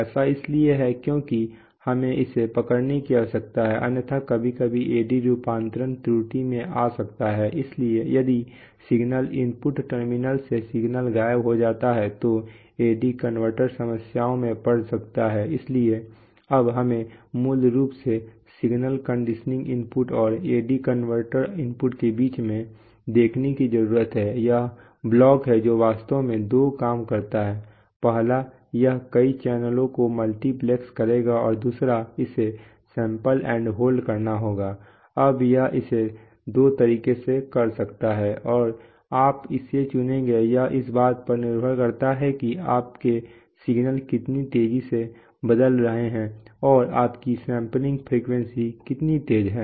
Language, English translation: Hindi, That is because we need to hold it because otherwise sometimes the AD conversion can get into error, if the signal if, while is a converter is converting the signal vanishes from the input terminal then the AD converter can get into problems, so, now, so we need see basically between the in between the signal conditioning input and the AD converter input, there is this block which actually does two things first it will multiplex several channels and second it has to do sample and hold, now this which can do in two ways and which one you will choose depends on, depends on how fast your signals are varying and how fast is your sampling frequency okay